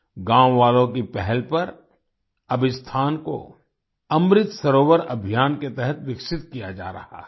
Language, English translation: Hindi, On the initiative of the villagers, this place is now being developed under the Amrit Sarovar campaign